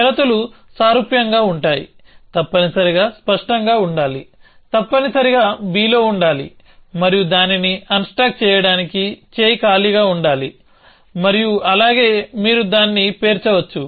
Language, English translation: Telugu, The conditions are similar a must be clear, a must be on b and arm must be empty to unstack it and likewise you can stack it